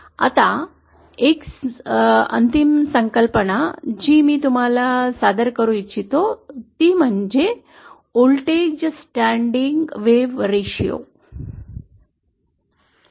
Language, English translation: Marathi, Now one final concept that I want to introduce is what is called as the voltage standing wave ratio